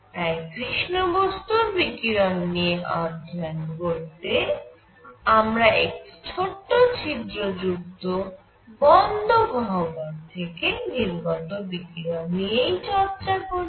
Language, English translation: Bengali, So, if we wish to study black body radiation, we can study it using radiation coming out of a cavity which is closed, but has a small hole; with a small hole in it